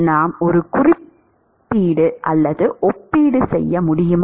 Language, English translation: Tamil, Can we make a comparison